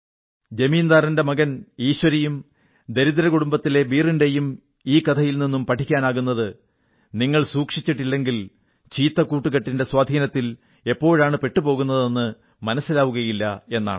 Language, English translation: Malayalam, The moral of this story featuring the landholder's son Eeshwari and Beer from a poor family is that if you are not careful enough, you will never know when the bane of bad company engulfs you